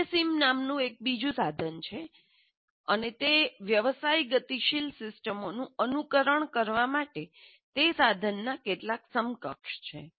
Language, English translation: Gujarati, Then there is another tool called WENCIM are several equivalents of that is a tool for simulating business dynamic systems